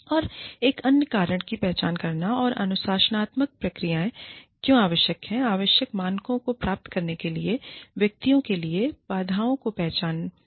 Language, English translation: Hindi, And, to identify another reason why, disciplinary procedures are necessary is, to identify obstacles to individuals, achieving the required standards